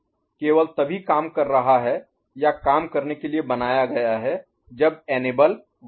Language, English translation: Hindi, So, the circuit, this circuit is acting only when or made to work only when enable is at 1, ok